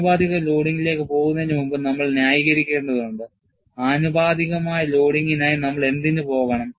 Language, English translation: Malayalam, I think, before we go to proportional loading, we have to justify, why we want to go for proportional loading